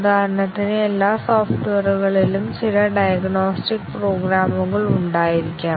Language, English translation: Malayalam, For example, every software might have some diagnostic programs